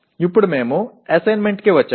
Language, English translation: Telugu, Okay, now we come to the assignments